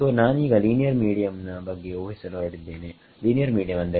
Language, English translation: Kannada, So, I am going to assume a linear medium linear medium means